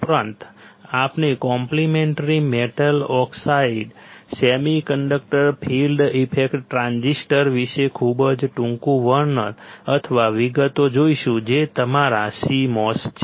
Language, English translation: Gujarati, Also we will see very short description or details about the complementary metal oxide semiconductor field effect transistor which is your c mos